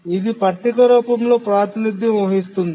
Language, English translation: Telugu, So we can represent that in the form of a table